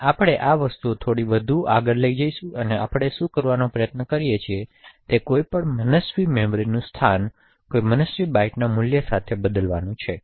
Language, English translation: Gujarati, Now we will take things a bit more further and what we are trying to do is change any arbitrary memory location with any arbitrary byte value